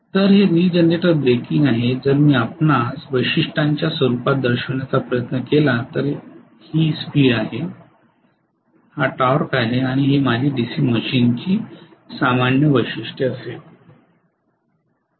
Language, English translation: Marathi, So this is regenerator breaking, if I try to show you in the form of characteristics this is the speed, this is the torque and this is going to be my normal characteristics of the DC machine right